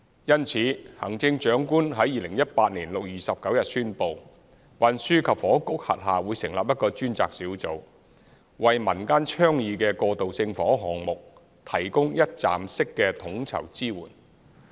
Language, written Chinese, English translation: Cantonese, 因此，行政長官在2018年6月29日宣布，運輸及房屋局轄下會成立一個專責小組，為民間倡議的過渡性房屋項目，提供一站式的統籌支援。, Therefore on 29 June 2018 the Chief Executive announced that a task force would be set up under the Transport and Housing Bureau to provide one - stop coordinated support to facilitate the implementation of such community initiatives on transitional housing